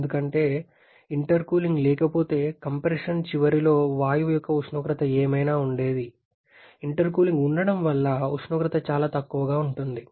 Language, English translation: Telugu, Because, had there been no intercooling whatever would have been the temperature of the gas at the end of compression, because of the presence of intercooling the temperature is much lower